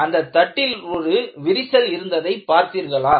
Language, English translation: Tamil, Do you see that there is a crack in this plate